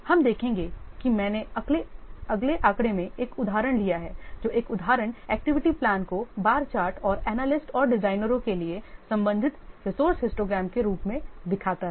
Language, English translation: Hindi, We'll see I have taken an example in the next figure which illustrates an example activity plan as a bar chart and the corresponding resource histogram for the analyst and designers